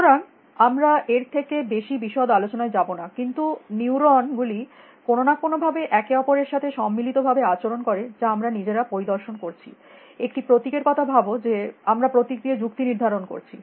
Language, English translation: Bengali, So, we will not go into more detail than that, but somehow neurons act in concert with each other in a manner which we are inspecting ourselves, think of a symbols that we are reasoning with symbols